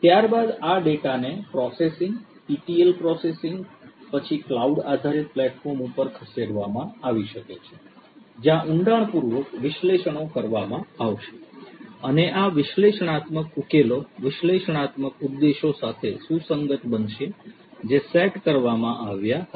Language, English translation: Gujarati, The data thereafter can be moved after this basic processing etl processing the data could be moved to the cloud based platform where in depth analytics is going to be performed and these analytic solutions are going to be commensurate with the analytics objectives that were set at the outset